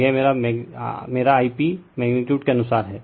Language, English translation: Hindi, So, this is my I p magnitude wise right